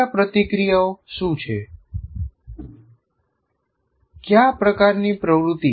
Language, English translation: Gujarati, So what are the interactions, what kind of activity